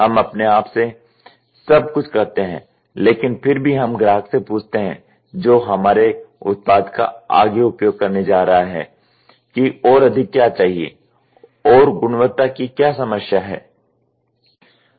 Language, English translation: Hindi, We do everything within ourselves, but we ask the customer the next person who is going to use our product further that what is more required and what was the quality problem